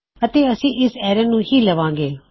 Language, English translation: Punjabi, And well call this array as well